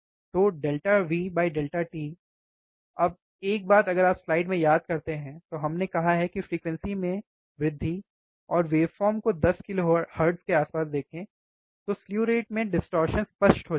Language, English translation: Hindi, So, delta V by delta t, now one thing if you remember in the slide, we have said that increasing the frequency, and watch the waveform somewhere about 10 kilohertz, slew rate distortion will become evident